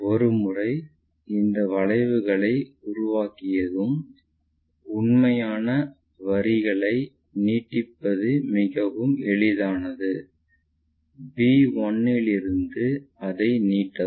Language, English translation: Tamil, Once, we make arcs is quite easy for us to extend this true lines this must be the true line extend it in that way from b1' we have to really do